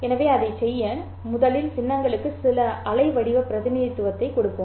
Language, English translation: Tamil, So to do that let us first give some waveform representation for the symbols